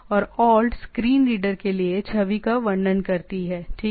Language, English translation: Hindi, And alt describes the image on the screen reader right